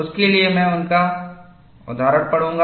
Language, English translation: Hindi, I will read his quote for that